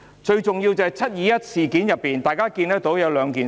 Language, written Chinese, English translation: Cantonese, 最重要的是，在"七二一"事件中，大家看到兩點。, What matters most is that from the 21 July incident we notice two points